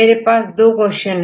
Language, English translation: Hindi, Now I have two questions